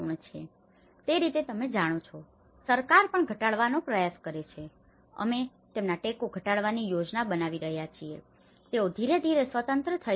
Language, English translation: Gujarati, So, in that way you know, the government also try to reduce, we are planning to reduce their supports that they can slowly become independent